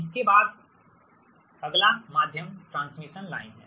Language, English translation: Hindi, next is: next is the medium transmission line